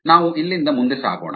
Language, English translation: Kannada, we will move forward from here